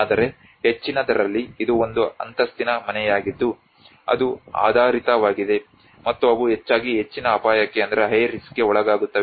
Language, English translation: Kannada, But whereas in the high, which is a one storey house which is based on and they are subjected mostly to the high risk